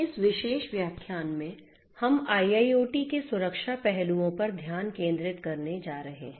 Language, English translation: Hindi, In this particular lecture, we are going to focus on the Security aspects of a IIoT